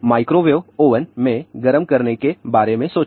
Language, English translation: Hindi, So, when we do the heating in a microwave oven